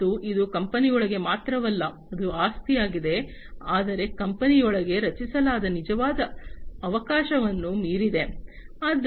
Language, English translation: Kannada, And this is not only within the company that it is an asset, but also beyond the actual opportunity that is created within the company